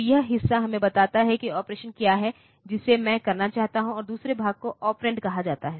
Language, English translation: Hindi, So, this part tells us like what is the operation that I want to do, and the second part is called the operand